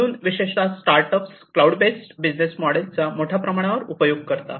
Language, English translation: Marathi, So, start startups typically are heavily using the cloud based business model